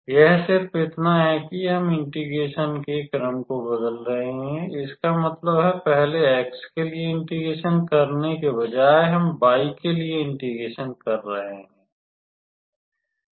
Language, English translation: Hindi, It is just that we are changing the order of integration; that means, instead of integrating with respect to x first, we are integrating with respect to y